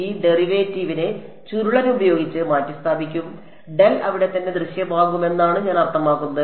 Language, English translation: Malayalam, This derivative will be get replaced by curl and I mean the del will appear over there right